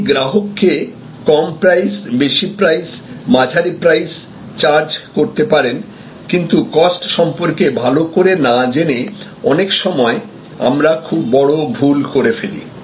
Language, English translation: Bengali, And you can provide low price, high price, mid range price, but without knowing your costs, many times you can make horrible mistakes